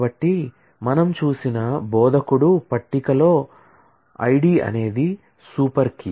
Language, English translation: Telugu, So, the instructor table that we have seen, I D is a super key similarly